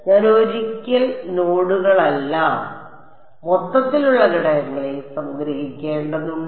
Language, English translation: Malayalam, I have to sum overall elements not nodes right once I